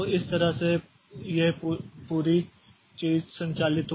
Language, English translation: Hindi, So that is how this whole thing operates